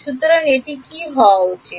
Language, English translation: Bengali, So, what should this be